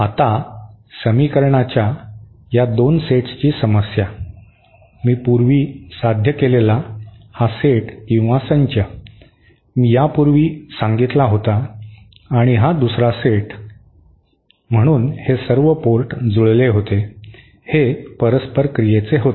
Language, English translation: Marathi, Now the problem with these 2 sets of equations, this set that I derived previously, that I had stated previously and this another set, so these were all ports matched, these were for reciprocity and this was the condition for losslessness